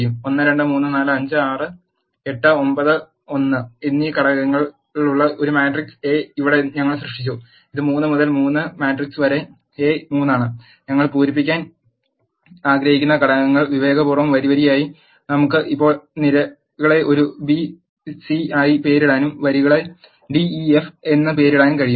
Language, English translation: Malayalam, Here we have created a matrix A which are having the elements 1 2 3 4 5 6 8 9 1 and it is a 3 by 3 matrix and we want to fill the elements row wise and we can now name the columns as a b c and name the rows as d e f